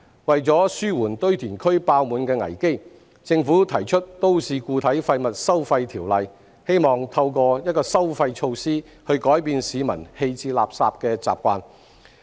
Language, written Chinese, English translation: Cantonese, 為紓緩堆填區爆滿的危機，政府提出《條例草案》，希望透過一項收費措施改變市民棄置垃圾的習慣。, To mitigate the crisis of overflowing landfills the Government has introduced the Bill in the hope of changing the waste disposal habits of the public through a charging scheme